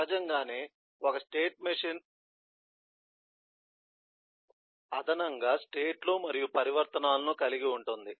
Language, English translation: Telugu, naturally, a state machine will consist primarily of states and transitions